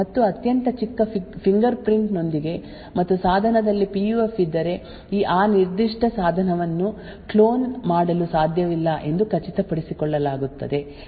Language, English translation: Kannada, And with a very small fingerprint and also it is ensured that if a PUF is present in a device then that particular device cannot be cloned